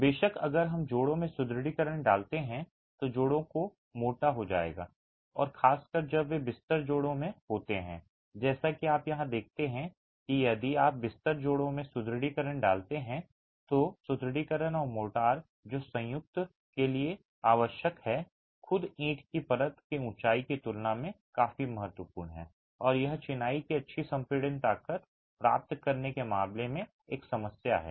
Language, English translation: Hindi, Of course if you place reinforcement in joints, the joints will become thicker and particularly when they are in the bed joints as you see here if you place reinforcement in the bed joints the reinforcement plus the motor that is required for the joint is going to be significant enough in comparison to the height of the brickwork layer itself